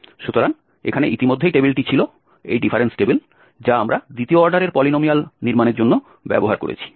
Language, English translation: Bengali, So, this was already the table the difference table, which we have used for constructing the second order polynomial